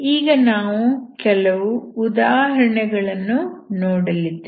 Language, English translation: Kannada, So we will see some examples